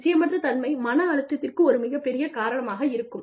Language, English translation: Tamil, Uncertainty is a big, big, big reason for stress